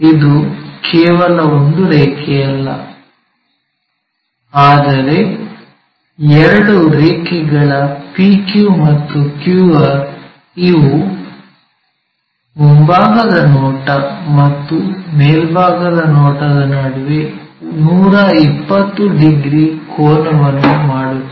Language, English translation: Kannada, So, it is not just one line, but two lines PQ and QR, they make an angle of 120 degrees between them in front and top, in the front views and top views